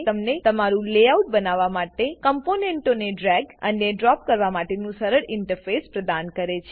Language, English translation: Gujarati, Also it gives you an easy interface to drag and drop components to create your layout